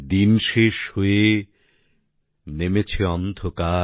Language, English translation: Bengali, The day is gone and it is dark,